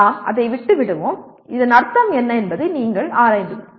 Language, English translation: Tamil, We will just leave it at that and you explore what exactly this would mean